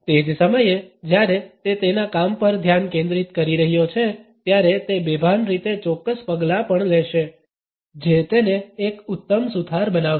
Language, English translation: Gujarati, At the same time, while he is concentrating on his work he would also be taking certain steps in an unconscious manner which would make him an excellent carpenter